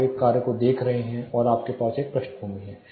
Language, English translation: Hindi, You are looking at a task and you have a background